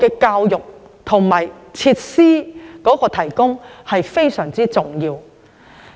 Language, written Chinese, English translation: Cantonese, 教育和提供設施才是最重要的。, Hence education and provision of facilities are of paramount importance